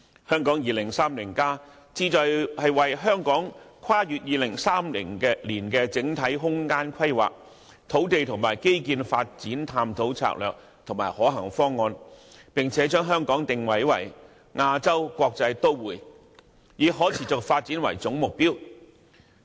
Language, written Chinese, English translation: Cantonese, 《香港 2030+》旨在為香港跨越2030年的整體空間規劃，土地和基建發展探討策略和可行方案，並將香港定位為亞洲國際都會，以可持續發展為總目標。, Hong Kong 2030 aims to examine the strategies and feasible options for the overall spatial planning as well as land and infrastructure development for Hong Kong beyond 2030 with the positioning and development of Hong Kong as a sustainable Asias World City as the overarching planning goal